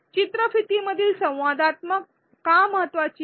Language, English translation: Marathi, Why is interactivity in videos important